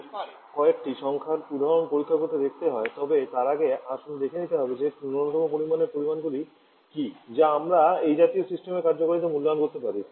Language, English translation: Bengali, Now, if we have to check out if you numerical examples but before that let us see what are the minimum quantity of data that with which we can evaluate the performance of such a system